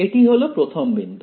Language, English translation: Bengali, That is the first point yeah